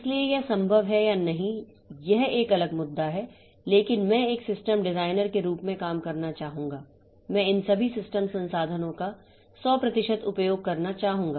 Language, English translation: Hindi, So, whether it is possible or not that's a different issue, but I would like to as a system designer, I would like to have 100% utilization of all these system resources